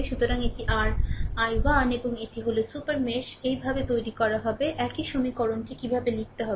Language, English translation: Bengali, So, this is your i 1 and this is super mesh is created this way same equation I showed you how to write